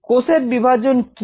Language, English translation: Bengali, and what is cell multiplication